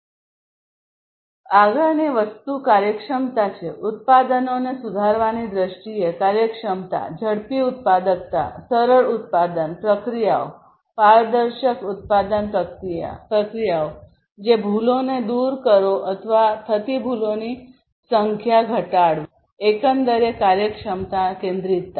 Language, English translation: Gujarati, Next thing is the efficiency; efficiency in terms of improving in the products production productivity, faster productivity, simpler production processes, transparent production processes, production processes which will eliminate errors or reduce the number of errors from occurring and so on; overall efficiency centricity